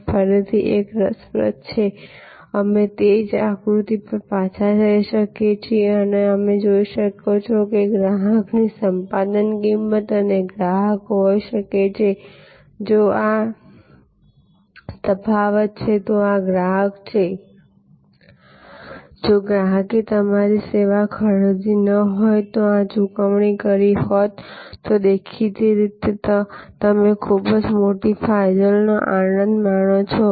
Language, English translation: Gujarati, This is something interesting again, we can go back to that same diagram and you can see that, if this is the acquisition cost of the customer and the customer might have been, if this is the difference, this is the customer, what the customer would have paid otherwise